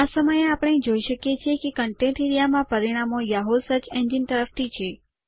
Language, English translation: Gujarati, This time we see that the results in the Contents area are from the Yahoo search engine